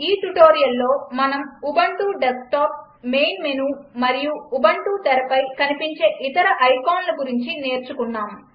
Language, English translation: Telugu, In this tutorial we learnt about the Ubuntu Desktop, the main menu and the other icons visible on the Ubuntu screen